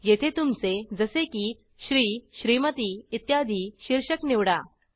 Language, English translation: Marathi, Here, select your title, like Shri, Smt etc